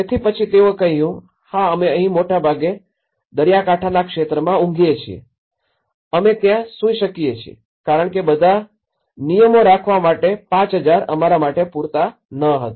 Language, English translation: Gujarati, So, then they said, yeah we mostly sleep here being a coastal area we can sleep there because that 5000 was not sufficient for us to keep all the rules